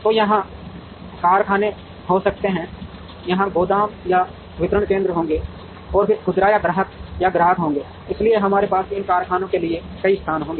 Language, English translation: Hindi, So, there could be factories here, there would be warehouses here or distribution centers and then there would be retailer or customer or customer, so we would have multiple locations for these factories